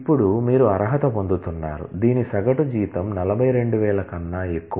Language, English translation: Telugu, Now, you are qualifying that, whose average salary is greater than 42000